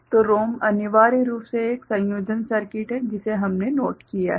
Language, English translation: Hindi, So, ROM is essentially a combinatorial circuit that is what we have noted